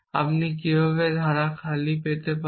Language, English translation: Bengali, How do you get the empty clause